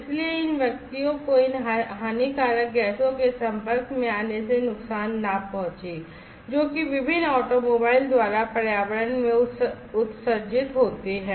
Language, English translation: Hindi, So, as not to harm these individuals from exposure to these harmful gases, that are emitted in the environment by different automobiles